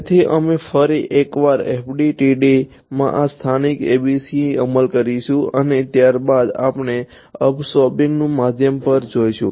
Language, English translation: Gujarati, So, we will once again implement this local ABC in FDTD and then we will go to absorbing media